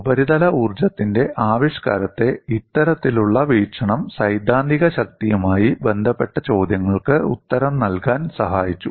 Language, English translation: Malayalam, That was this kind of looking at the expression in terms of surface energy, helped to answer the questions related to theoretical strength